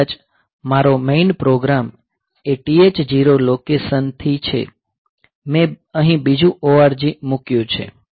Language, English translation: Gujarati, Then maybe my main program is from location 8000 H; so, I put another ORG here